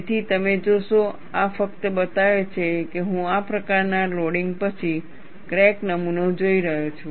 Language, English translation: Gujarati, So, you will see, this only shows, that I am looking at a crack specimen, after this kind of loading